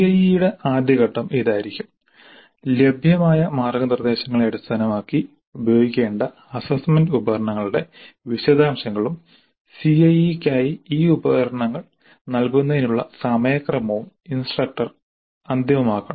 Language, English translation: Malayalam, So, the first step in CIE would be based on the available guidelines the instructor must finalize the details of the assessment instruments to be used and the schedule for administering these instruments for CIE